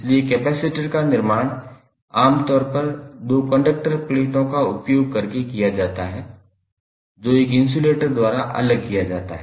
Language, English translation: Hindi, So, capacitor is typically constructed using 2 conducting plates, separated by an insulator or dielectric